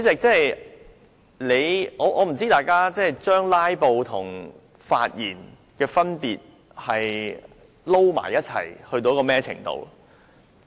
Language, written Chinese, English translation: Cantonese, 主席，我不知道大家把"拉布"和發言混淆到甚麼程度。, President I wonder to what extent Members have confused filibustering and proper expression of views